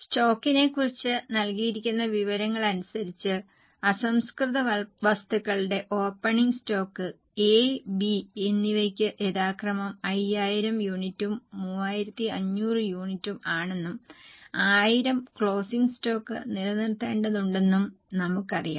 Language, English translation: Malayalam, Little more information is given about stock that the opening stock of raw material is 5,000 units and 3,500 units respectively for A and B and we need to maintain closing stock of 1000